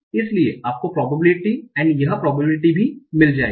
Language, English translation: Hindi, So you'll find this probability and this probability also